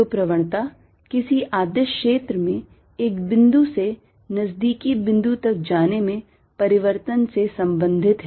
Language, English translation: Hindi, so gradient is related to change in a scalar field in going from one point to a nearby point